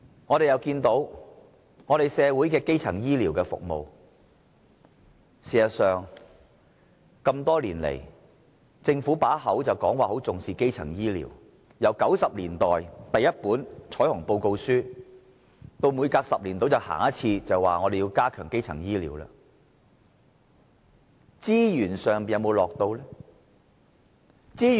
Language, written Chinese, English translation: Cantonese, 我們亦看到社會的基層醫療服務，事實上，政府多年來口說重視基層醫療，由1990年代第一本彩虹報告書，到每隔10年便說要加強基層醫療，但它有否投放資源？, Regarding primary health care services the Government has been saying for years that it attaches great importance to primary health care . Since the Rainbow Report it published in the 1990s the Government has been saying every 10 years that it needs to strengthen primary health care services . But has it injected any resources into this subject?